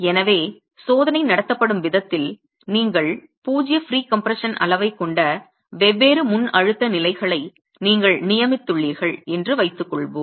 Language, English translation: Tamil, So, the way the test is conducted, let's say you have designated the different pre compression levels, you have zero pre compression level as well